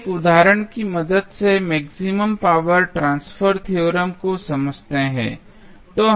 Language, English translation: Hindi, Now, let us understand the maximum power transfer theorem with the help of 1 example